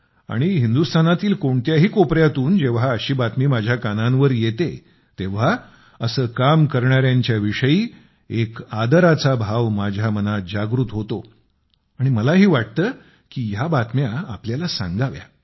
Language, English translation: Marathi, Whenever such news come to my notice, from any corner of India, it evokes immense respect in my heart for people who embark upon such tasks…and I also feel like sharing that with you